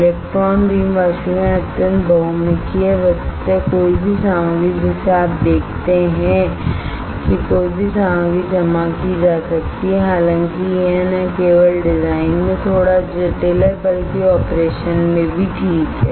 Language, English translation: Hindi, Electron beam evaporation is extremely versatile virtually any material you see virtually any material can be deposited; however, it is little bit complex not only in design, but also in operation alright